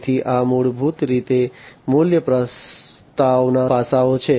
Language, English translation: Gujarati, So, these are basically the value proposition aspects